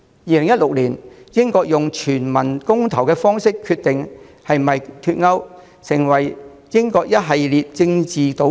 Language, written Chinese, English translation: Cantonese, 2016年，英國用全民公投方式決定是否脫歐，開始了英國一系列政治賭局。, In 2016 Britain decided whether to withdraw from the European Union EU by way of a referendum thus marking the beginning of a series of political gambles taken by Britain